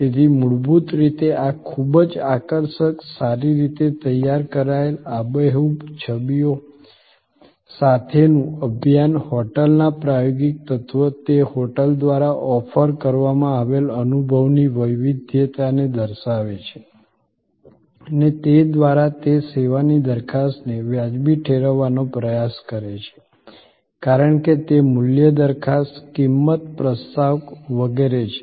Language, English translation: Gujarati, So, fundamentally this very attractive, well prepared, campaign with vivid images convey the experiential element of the hotel, the versatility of experience offered by that hotel and thereby it tries to justify the service proposition as versus it is value proposition, price proposition and so on